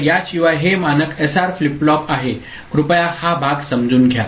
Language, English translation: Marathi, So, without this it is the standard SR flip flop please understand this part